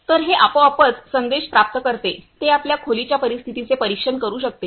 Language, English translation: Marathi, So, this see it automatically get message which can monitor the room conditions